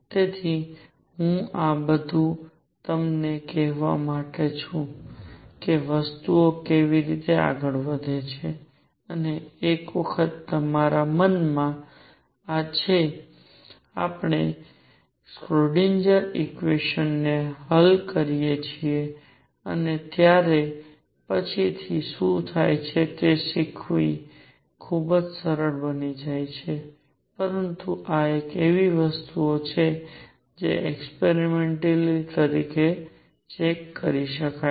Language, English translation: Gujarati, So, I am doing all this is to tell you how things progress and these are once we have this in our mind, learning what happens later when we solve the Schrödinger equation becomes very easy, but these are things that can be checked experimentally